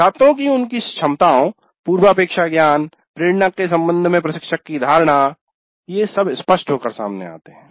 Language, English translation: Hindi, So, the instructor's perception of students with regard to their abilities, prerequisite knowledge, motivation, all these things come into the picture